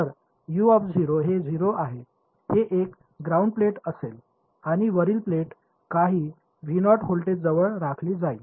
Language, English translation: Marathi, So, U of 0 is going to be 0 its a grounded plate and the upper plate is maintained at some voltage V naught